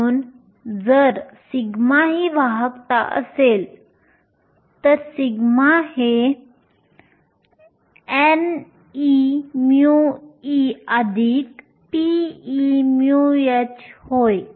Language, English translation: Marathi, So, if sigma is the conductivity, sigma is nothing but n e mu e plus p e mu h